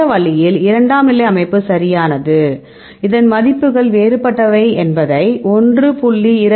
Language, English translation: Tamil, This way secondary structure right, you can see this a values are different is 1